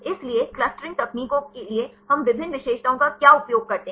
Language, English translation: Hindi, So, what are various features we use for clustering techniques